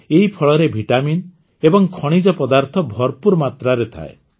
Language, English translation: Odia, In this fruit, minerals and vitamins are found in abundance